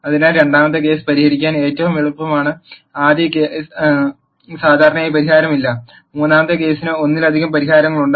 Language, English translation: Malayalam, So, the first case is the easiest to solve the second case does not have solution usually, and the third case has multiple solutions